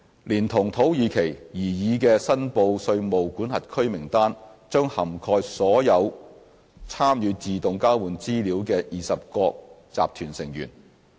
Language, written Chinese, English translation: Cantonese, 連同土耳其，擬議的申報稅務管轄區名單將涵蓋所有參與自動交換資料的20國集團成員。, The proposed list of reportable jurisdictions will cover all G20 members taking part in AEOI together with Turkey